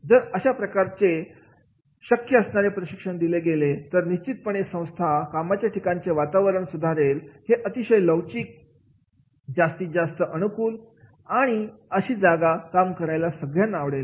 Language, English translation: Marathi, If these type of the possible trainings are provided then definitely that organization will be more great workplace, more adoptive, more flexible and more a place to love work with that particular organization